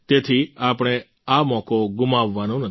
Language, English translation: Gujarati, So, we should not let this opportunity pass